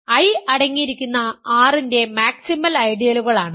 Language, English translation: Malayalam, So, assume that I is a maximal ideal